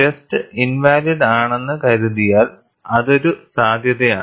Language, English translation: Malayalam, Suppose the test becomes invalid; that is a possibility